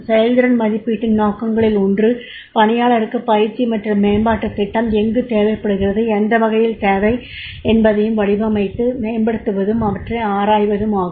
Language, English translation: Tamil, So, objectives of performance appraisal is also to one of the objectives of their performance appraisal is to design and develop and explore where the employee requires training and development programs and what type of the training and development programs are required by the employee